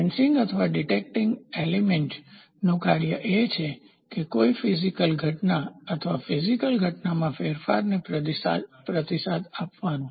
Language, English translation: Gujarati, The sensing or detecting element; the function of the element is to respond to a physical phenomenon or a change in the physical phenomenon